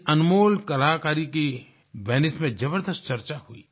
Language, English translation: Hindi, This invaluable artwork was a high point of discourse at Venice